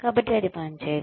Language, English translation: Telugu, So, that does not work